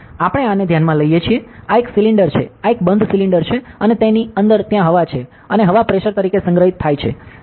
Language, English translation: Gujarati, So, we consider this, this is a cylinder this is closed cylinder and inside it there is air is there; and air is stored as a pressure, ok